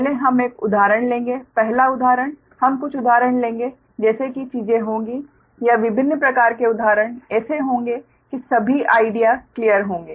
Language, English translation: Hindi, first example, we will take few example, such that things will be, or different type of example, such that all the all, the all the ideas will be clear, right